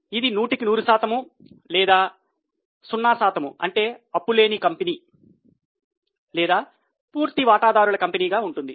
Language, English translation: Telugu, It can be 100 versus 0 that will be called as no debt or all equity company